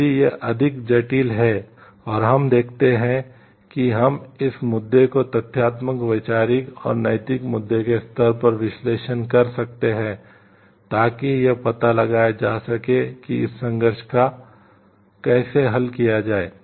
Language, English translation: Hindi, If it is more complex and we see like we can do this issue level analysis at factual, conceptual and moral issue level to find out how to solve this conflict